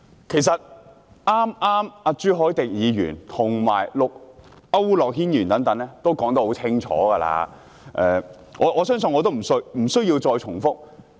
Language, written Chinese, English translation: Cantonese, 其實，朱凱廸議員、區諾軒議員等剛才也說得很清楚，我相信我無須再重複。, In fact Members such as Mr CHU Hoi - dick and Mr AU Nok - hin just made themselves clear and I believe there is no need for me to repeat what they said